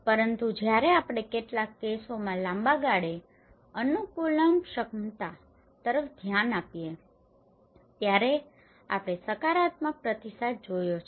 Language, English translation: Gujarati, But when we look at the longer run adaptability in some cases we have seen a positive response